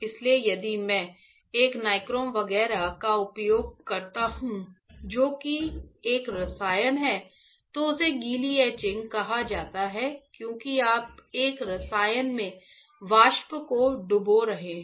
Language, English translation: Hindi, So, if I use a nichrome etchant which is a chemical, then that is called wet etching right because you are dipping the vapor in a chemical